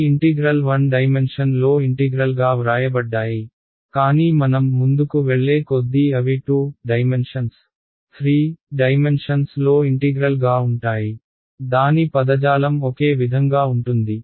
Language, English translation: Telugu, These integrals have been written as an integral in 1 dimension, but as we go further these can be integrals in 2 dimensions, 3 dimensions; the terminology will be the same